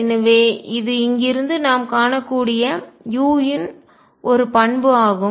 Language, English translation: Tamil, So, that is one property we can see for u from here